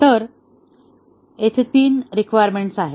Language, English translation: Marathi, So, there are three requirements here